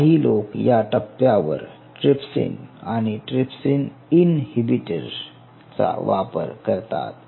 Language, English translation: Marathi, there are people who use a at this stage, trypsin and trypsin inhibitor